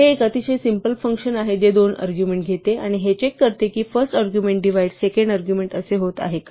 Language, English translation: Marathi, This is a very simple function it takes two arguments and checks if the first argument divides the second argument